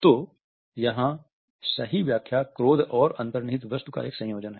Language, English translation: Hindi, So, here the right solution is a combination of anger and content